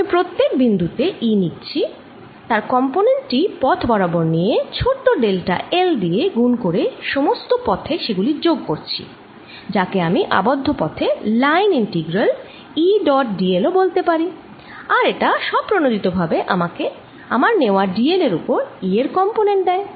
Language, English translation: Bengali, i am taking e at each point, taking this component along the path and multiplying by the small delta l and summing it all around, ok, which i can also write as what is called a line integral over a closed path